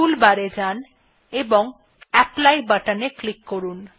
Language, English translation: Bengali, Go to the tool bar and click on the apply button